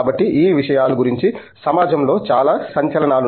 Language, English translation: Telugu, So, there is a lot of buzz in the society about these things